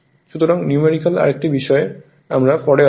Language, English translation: Bengali, So, another thing numerical, we will come later